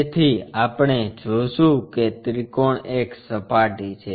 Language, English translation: Gujarati, So, we will see a triangle is the surface